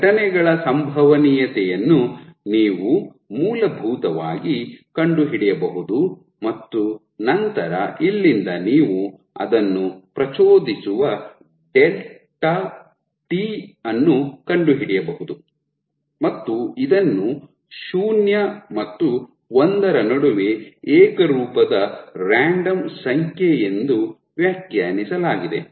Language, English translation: Kannada, So, you can essentially find out the probability of these events and then from here you can find out the delta t at which you are going to trigger that even and this is defined as where r is a uniform random number between 0 and 1